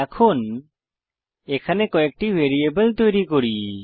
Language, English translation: Bengali, Now let us create a few variables